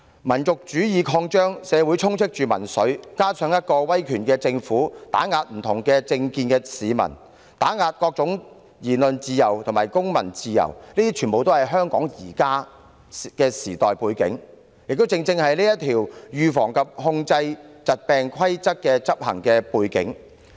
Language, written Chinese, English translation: Cantonese, 民族主義擴張，社會充斥民粹，加上威權政府打壓不同政見市民，打壓各種言論自由及公民自由，這些全是香港現時的時代背景，亦正是相關規例的執行背景。, Nationalism is growing populism is gaining ground in society and authoritarian governments are suppressing people with dissenting political views and undermining freedom of speech and civil liberties . This is the background of the current era of Hong Kong and also the background against which the relevant regulations are implemented